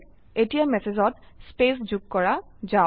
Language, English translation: Assamese, Now let us add the space to the message